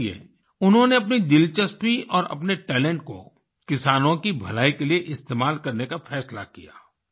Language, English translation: Hindi, So, he decided to use his interest and talent for the welfare of farmers